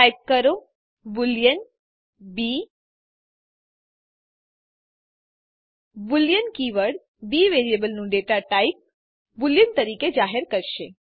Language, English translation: Gujarati, Type boolean b The keyword boolean declares the data type of the variable b as boolean